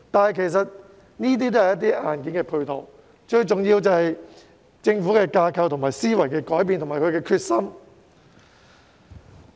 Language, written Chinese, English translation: Cantonese, 然而，這些都只是硬件配套，最重要是政府的架構、思維有所改變，以及下定決心。, Yet all these are just hardware support . Most importantly the Government should change its organizational structure and mindset as well as show its determination